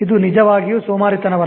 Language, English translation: Kannada, So it's actually not laziness